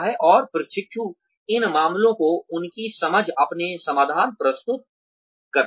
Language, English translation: Hindi, And, the trainees present their solutions, and their understanding of these cases